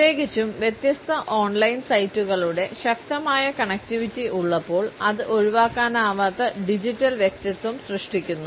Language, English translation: Malayalam, Particularly, when there is a strong connectivity of different on line sites, which creates an inescapable digital personality